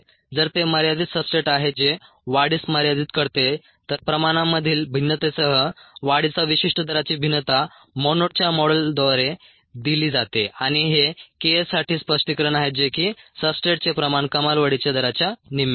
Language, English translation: Marathi, if it is a limiting substrate which limits growth, then the variation of specific growth rate with the variation in concentration is given by the monod model and there is an interpretation for this k s, which is the substrate concentration at half maximal growth rate